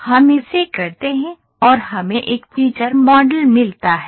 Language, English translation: Hindi, So, we do it and then finally, what we get is a feature model